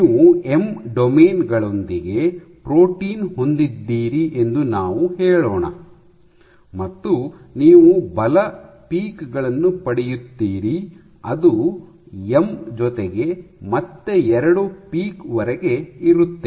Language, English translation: Kannada, Let us say you have a protein with M domains, and you get force peaks which have up to M plus 2